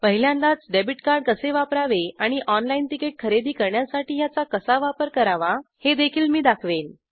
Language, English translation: Marathi, I will also demonstrate the first time use of a debit card and how to use this to purchase the ticket online